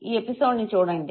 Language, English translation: Telugu, Look at this very episode